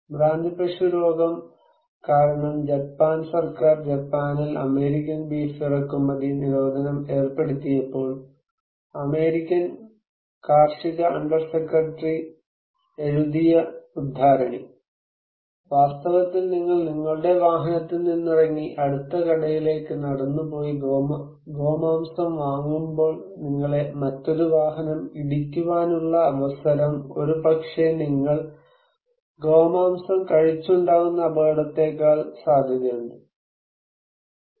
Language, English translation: Malayalam, When because of mad cow disease, when the Japan government ban importing US beef in Japan, the US agricultural undersecretary wrote this quote “in fact, the probably getting out of your automobile and walking into the store to buy beef has higher probability than you will hit by an automobile than, then the probability of any harm coming to you from eating beef”